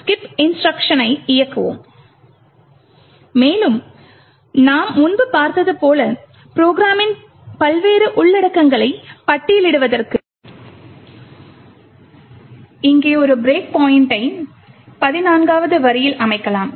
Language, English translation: Tamil, So, we would run GDB dot slash skip instruction and as we seen before we can list the various contents of the program and we could also, set a break point over here say at line number 14